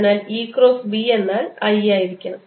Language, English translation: Malayalam, so what we see is that e cross b should be i